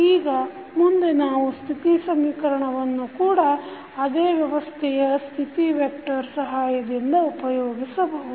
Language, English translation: Kannada, Now, next we can also use the State equation using the state vector for representing the same system